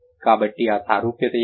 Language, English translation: Telugu, So, what are the similarity